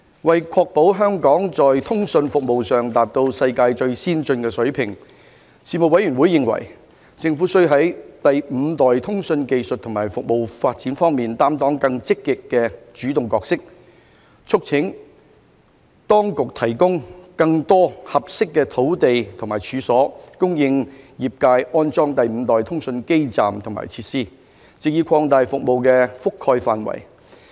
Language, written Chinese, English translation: Cantonese, 為確保香港在通訊服務上達到世界最先進的水平，事務委員會認為，政府須在第五代通訊技術和服務發展方面擔當更積極的主動角色，促請當局提供更多合適的土地和處所，供業界安裝第五代通訊基站和設施，藉以擴大服務覆蓋範圍。, To ensure that Hong Kongs communications services would reach the most advanced level in the world the Panel considered that the Government should play a more proactive role in the development of fifth generation 5G communications technologies and services and urged the Administration to provide more suitable land and premises for the industry to install 5G communications base stations and facilities so as to expand the network coverage